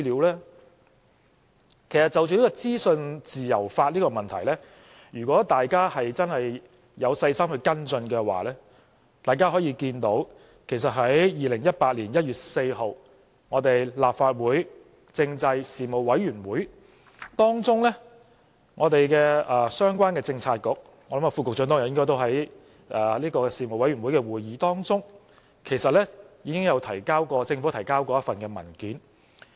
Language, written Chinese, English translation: Cantonese, 其實，就着資訊自由法，如果大家真有細心跟進的話，大家可以看到，其實在2018年1月4日立法會政制事務委員會的會議當中，相關的政策局，我相信局長應該也在事務委員會的會議中，政府其實已提交過一份文件。, In fact regarding legislation on freedom of information if you have carefully followed up on this matter you can see that at the meeting of the Panel on Constitutional Affairs on 4 January 2018 the relevant bureau―I believe the Under Secretary should have attended the meeting too―had actually submitted a government paper